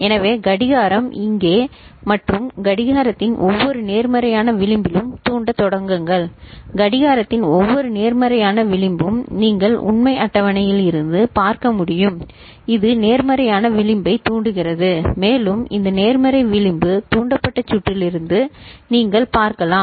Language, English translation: Tamil, So, clock start triggering over here and at every positive edge of the clock; every positive edge of the clock you can see from the truth table, it is positive edge triggered and also you can see from the circuit that this positive edge triggered